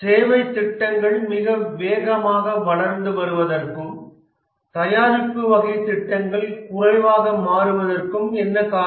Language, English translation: Tamil, What is the reason that the services projects are growing very fast and the product type of projects are becoming less